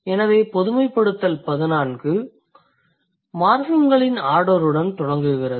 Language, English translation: Tamil, So, generalization 14 starts with the order of morphems